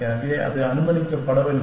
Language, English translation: Tamil, So, that not allowed